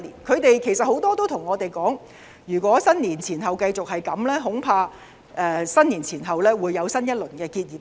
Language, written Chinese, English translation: Cantonese, 很多人向我們表示，如果農曆年前後繼續這樣，恐怕農曆新年後會出現新一輪結業潮。, Many have told us that if the situation persists before and after the Chinese New Year they feared that another round of business closures would occur after the Chinese New Year holidays